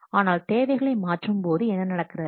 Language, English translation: Tamil, But what is about changing requirements